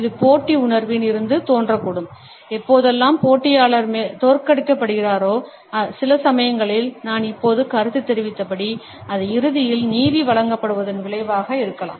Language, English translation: Tamil, It may stem forth from a sense of rivalry, whenever rival has been defeated and sometimes as I have commented just now, it may be the result of justice being served ultimately